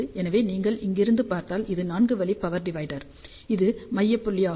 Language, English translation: Tamil, So, if you look from here this becomes like a four way power divider and this is the central point